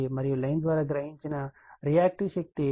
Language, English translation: Telugu, And reactive power absorbed by line is minus 278